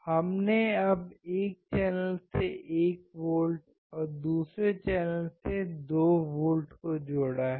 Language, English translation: Hindi, We have now connected 1 volt to one channel and second volt to second channel